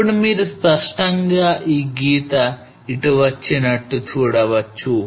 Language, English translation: Telugu, Now you can clearly see this line come here